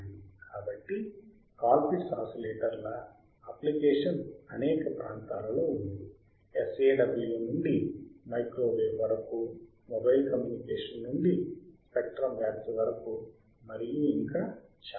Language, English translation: Telugu, So, the application of Colpitt’s oscillators are in several areas several area, from sawSAW to microwave to mobile communication to spectrum spreading and so, on and so, forth